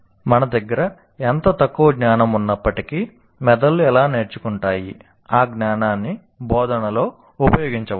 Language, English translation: Telugu, So whatever little knowledge that we have, how brains learn, that knowledge can be used in instruction